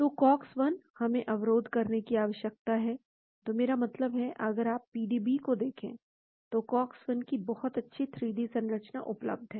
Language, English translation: Hindi, So, Cox 1; we need to inhibit, so I mean, if you look at the pdb, very nice 3d structure available of Cox of Cox 1